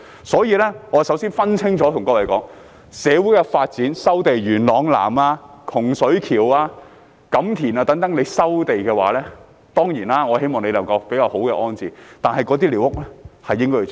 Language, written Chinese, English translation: Cantonese, 所以，我首先對各位說，要分清楚，若因社會發展而要收地，例如在元朗南、洪水橋、錦田等，我當然希望政府能夠作出比較好的安置，但寮屋是應該清拆的。, Therefore first of all I advise Members to distinguish two scenarios . If it is necessary to resume land for social development for example in Yuen Long South Hung Shui Kiu and Kam Tin I certainly hope that the Government can make better rehousing arrangements but squatter structures should rightly be demolished